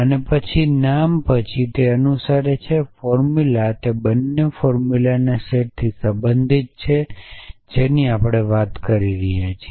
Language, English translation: Gujarati, And then exist followed by a name followed by a formula they both belong to the set of formulas F that we are talking about